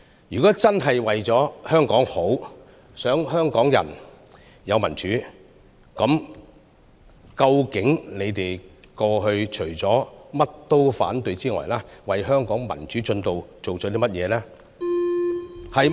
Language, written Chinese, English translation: Cantonese, 如果反對派議員真的是為香港好，想香港人有民主，那麼敢問：你們過去除了凡事必反之外，究竟為香港民主進程做了甚麼？, If Members of the opposition camp really want Hong Kong to become better and if they want Hong Kong people to have democracy may I ask them Apart from raising objection to all matters in the past what have you done for the progress of democracy in Hong Kong?